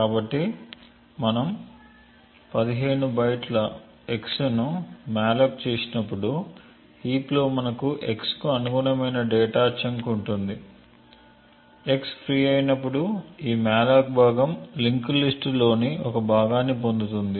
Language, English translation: Telugu, So therefore, when we malloc x of 15 bytes we have a chunk of data in the heap corresponding to x, when x gets freed this malloc chunk gets a part of a linked list